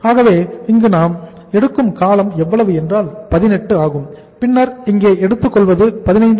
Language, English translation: Tamil, So how much is the duration here we take 18 then we take here is the that is 15